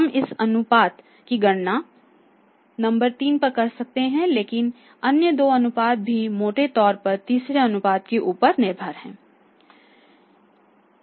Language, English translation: Hindi, So it means we are calculating ratio at number 3 but the other two ratios are also largely depending upon the third ratio right